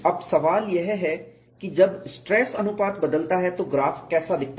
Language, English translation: Hindi, Now, the question is when the stress ratio changes, how the graph looks like